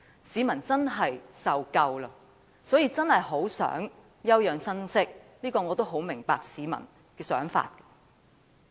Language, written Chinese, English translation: Cantonese, 市民受夠了，真的很想休養生息，我亦很明白市民的想法。, The people have had enough . They wish to recuperate from such turmoils . I fully understand their thoughts